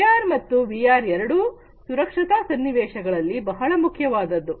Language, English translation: Kannada, Both AR and VR are also important in safety scenarios